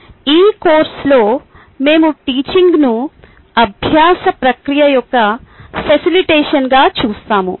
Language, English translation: Telugu, in this course we will look at teaching as facilitation of the learning process